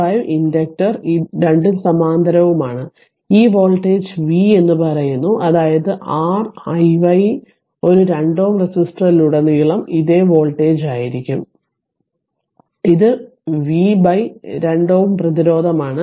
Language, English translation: Malayalam, 5 ah inductor both are in parallel right and this voltage is say v so that means, R i y will be this same voltage across a 2 ohm resistor, so it is V by this 2 ohm resistance right